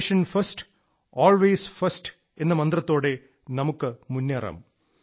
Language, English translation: Malayalam, We have to move forward with the mantra 'Nation First, Always First'